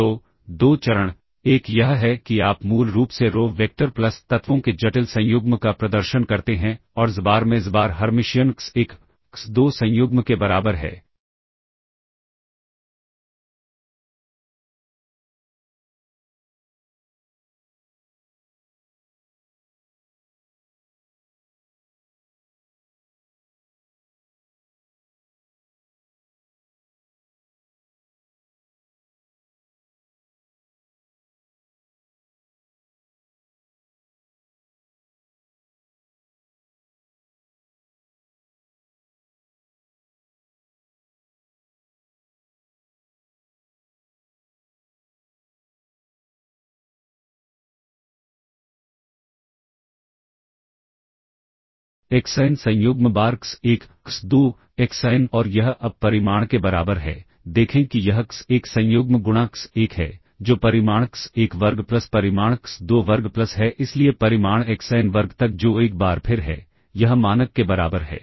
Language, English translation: Hindi, So, two steps; one is you basically perform row vector plus the complex conjugate of the elements and xbar Hermitian into xbar is equal to x1, x2 conjugate, xn conjugate times x1, x2, xn and this is equal to now the magnitude; look at this is x1 conjugate into x1, that is the magnitude x1 square plus magnitude x2 square plus so on up to magnitude xn square which is once again, this is equal to the norm